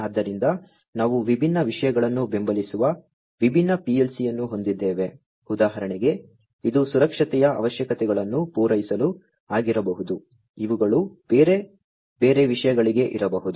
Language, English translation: Kannada, So, we have different PLC supporting different things for example, this one could be for catering to safety requirements, these ones could be for different other things and so on